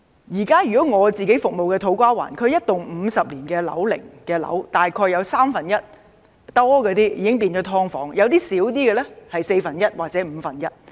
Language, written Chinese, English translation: Cantonese, 以我現時服務的土瓜灣區而言，一幢50年樓齡的樓宇，大約有三分之一都變成"劏房"，有些面積較小的，是四分之一或五分之一。, Take the To Kwa Wan area which I now serve as an example . In a 50 - year old building about one third of its units have been turned into subdivided units or one fourth or one fifth in the case of buildings with smaller floor areas